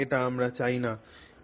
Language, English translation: Bengali, So, this is what we don't want